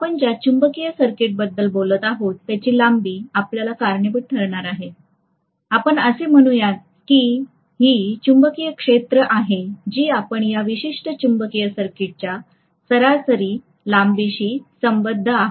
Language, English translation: Marathi, So this is going to cause whatever is the length of the magnetic circuit that we are talking about, that is let us say this is the magnetic field line that we are associating with this particular magnetic circuit average length